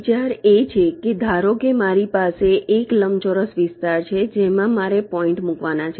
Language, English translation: Gujarati, the idea is that suppose i have a rectangular area in which i have to layout the points